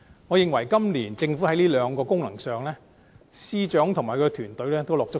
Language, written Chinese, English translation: Cantonese, 我認為，今年的預算案在這兩項功能上，司長及其團隊也很用心。, In my opinion the Financial Secretary and his team have worked very hard to make this years Budget serve these two purposes